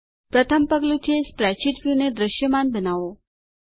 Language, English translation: Gujarati, The first step is to make the spreadsheet view visible